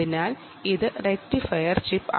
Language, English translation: Malayalam, so you need a rectifier chip